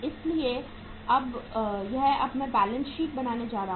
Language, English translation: Hindi, So this is going to be the say uh balance sheet now